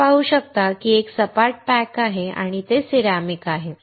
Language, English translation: Marathi, You can see it is a flat pack and it is a ceramic